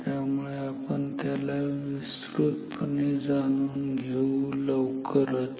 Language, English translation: Marathi, So, we will understand it in more detail soon